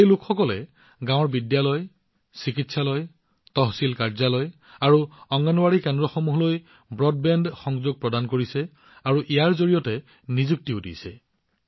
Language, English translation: Assamese, These people are providing broadband connection to the schools, hospitals, tehsil offices and Anganwadi centers of the villages and are also getting employment from it